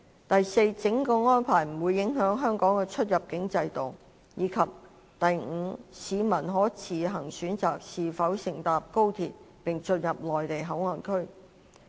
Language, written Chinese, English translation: Cantonese, 第四，整個安排不會影響香港的出入境制度；及第五，市民可自行選擇是否乘搭高鐡並進入內地口岸區。, Fourth the entire arrangement would not undermine the immigration system of Hong Kong . Fifth citizens can make their own choice as to whether to use the high - speed rail and enter MPA